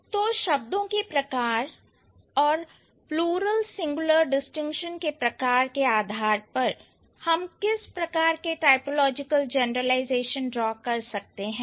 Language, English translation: Hindi, So, what sort of information or what sort of typological generalization we can draw on the basis of the kind of of the kind of plural singular distinction that we have